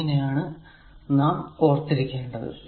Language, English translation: Malayalam, So, how to remember this